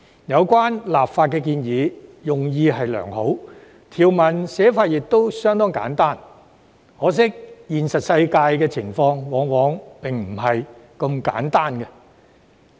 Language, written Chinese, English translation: Cantonese, 有關的立法建議用意良好，條文寫法亦相當簡單，可惜現實世界的情況往往並非如此簡單。, The legislative amendments are proposed with a good intention and the provisions are drafted in a rather simple manner . Yet regrettably things are not that simple in the real world